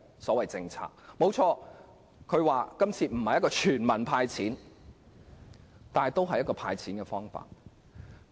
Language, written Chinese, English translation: Cantonese, 雖然政府表示今次並非全民"派錢"，但也是提出了"派錢"方案。, Although the Government argues that money is not handed out to all people this time it has nonetheless proposed a proposal for giving cash handouts